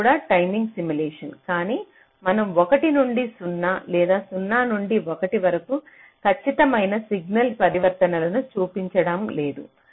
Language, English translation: Telugu, this is also timing simulation, but we are not showing exact signal transitions from one to zero or zero to one